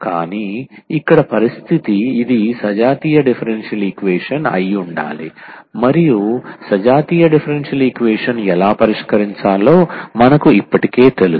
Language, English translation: Telugu, But, here the condition is this should be homogeneous differential equation and we already know how to solve the homogeneous differential equation